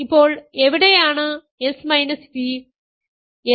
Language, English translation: Malayalam, Now, where are s and v